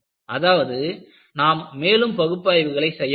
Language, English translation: Tamil, So, that means, I should do more analysis